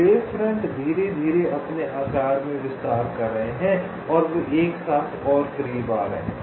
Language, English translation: Hindi, so the wavefronts are slowly expanding in their sizes and they are coming closer and closer together